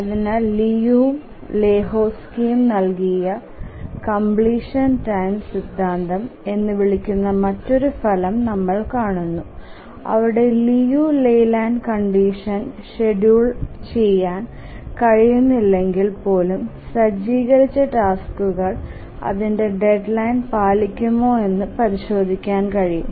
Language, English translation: Malayalam, So we'll look at another result called as the completion time theorem given by Liu and Lahotsky where we can check if the task set will actually meet its deadline even if it is not schedulable in the Liu Leyland condition